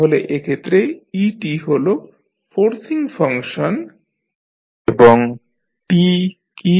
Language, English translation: Bengali, So, in this case et is the forcing function and what is t